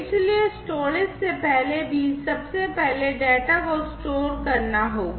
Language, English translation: Hindi, So, even before the storage so, first of all you know, the data will have to be stored